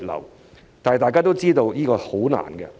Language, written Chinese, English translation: Cantonese, 然而，大家都知道，這是十分困難的。, However as we all know this will be extremely difficult